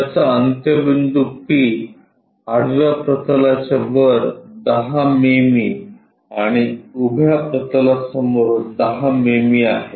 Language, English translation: Marathi, It is end P is 10 mm above horizontal plane and 10 mm in front of vertical plane